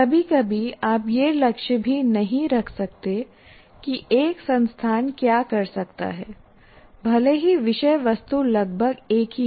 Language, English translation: Hindi, So you cannot expect, sometimes you cannot even aim at what one institution can do even though the subject matter approximately remains the same